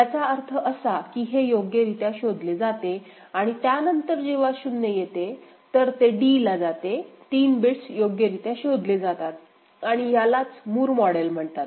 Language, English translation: Marathi, And then when it is receiving a 0, it will goes to d 3 bits are properly detected, and it is a Moore model